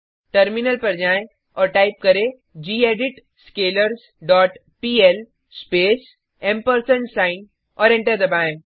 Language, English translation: Hindi, Switch to terminal and type gedit scalars dot pl space and press Enter